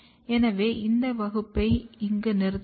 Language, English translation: Tamil, So, with this we will stop here